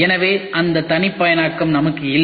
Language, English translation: Tamil, So, we do not have that customization